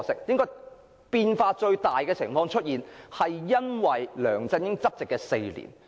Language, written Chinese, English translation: Cantonese, 不過，最大變化見於梁振英執政的4年間。, But the greatest change took place during the four years of LEUNG Chun - yings rule